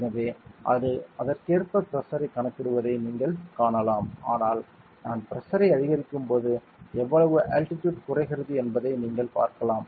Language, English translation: Tamil, So, you can see that it is calculating the pressure accordingly, but you can see also something else that when I increase the pressure you can see the values that the altitude has what decrease